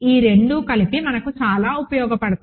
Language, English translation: Telugu, Together these two are very useful for us